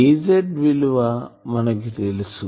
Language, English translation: Telugu, So, what is our Az